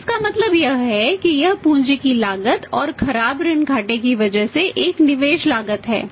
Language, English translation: Hindi, So it means this is a investment cost of because of the cost of capital and this is the bad debt losses